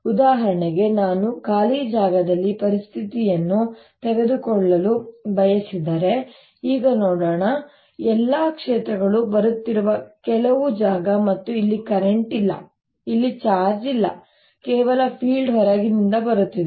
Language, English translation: Kannada, for example, if i were to take a situation in free space, ah, let's see in, ah, ah, i mean some space where all these fields are coming and there's no current here, no charge here, only fields are coming from outside